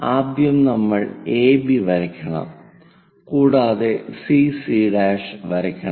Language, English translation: Malayalam, First, we have to draw AB line and then CC dash